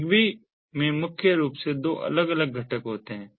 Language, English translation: Hindi, in zigbee there are primarily two different components